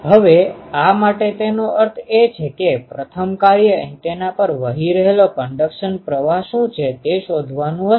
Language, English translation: Gujarati, Now, this for so; that means, the first job will have to have what is the conduction current that is flowing on the antenna